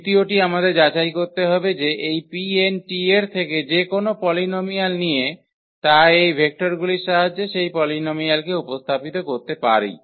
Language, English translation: Bengali, The second we have to check that any polynomial from this P n t we take can be represent that polynomial with the help of these vectors